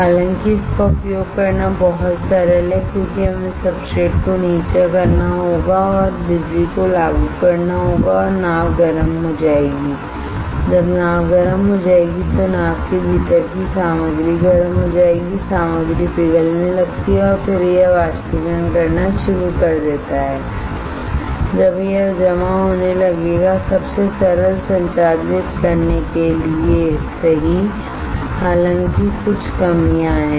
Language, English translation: Hindi, However, this is very simple to use it because we have to just lower the substrate and apply the power and boat will get heated up, when boat will get heated up, this of the material within the boat gets heated up, the material starts melting then it starts evaporating it will get deposited super simple to operate right; however, there are some of the drawbacks